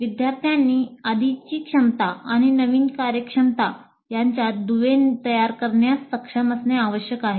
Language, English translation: Marathi, Students must be able to form links between prior competencies and the new competency